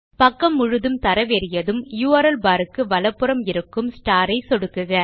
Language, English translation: Tamil, Once the page loads, click on the star symbol to the right of the URL bar